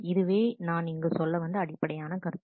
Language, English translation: Tamil, That is the basic concept that we are trying to establish here